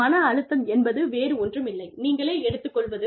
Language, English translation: Tamil, Stress is nothing but, what you take on yourself